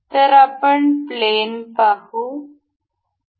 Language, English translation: Marathi, So, we will see plane